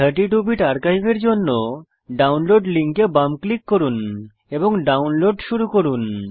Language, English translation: Bengali, Left click on the download link for the 32 Bit archive and download starts